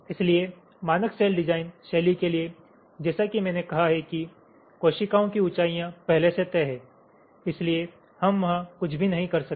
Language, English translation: Hindi, so for standard cell design style, as i have said, the heights of the cells are already fixed, so we cannot do anything there